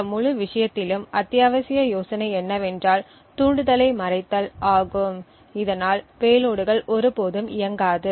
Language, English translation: Tamil, Essential idea in this entire thing is a way to hide the triggers so that the payloads never execute